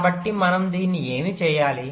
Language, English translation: Telugu, so what do we need to do this